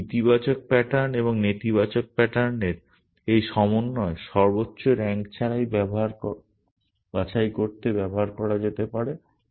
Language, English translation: Bengali, This combination of this positive pattern and the negative pattern can be used to pick the highest rank